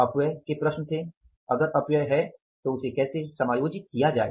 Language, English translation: Hindi, There was a problem of the wastage if there is a wastage how to adjust that